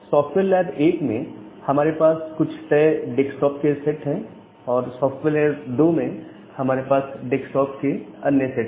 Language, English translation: Hindi, So, in software lab 1 we have certain set of desktop on software lab 2 we have another set of desktops